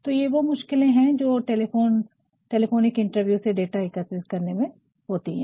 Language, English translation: Hindi, So, that is why there is a difficulty of collecting data through telephonic interviews